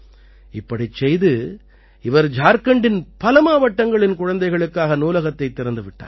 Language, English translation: Tamil, While doing this, he has opened libraries for children in many districts of Jharkhand